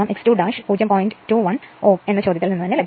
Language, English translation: Malayalam, 21 ohm from the problem itself